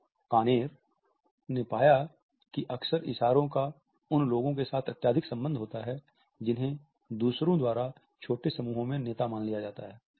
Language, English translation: Hindi, O’Conner has found that frequent gesturing is highly correlated with people who were perceived by others to be leaders in small groups